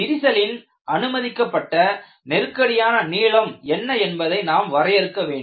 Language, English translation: Tamil, We want to define what is known as a permissible crack length